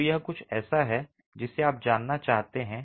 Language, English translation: Hindi, So, this is something you might want to know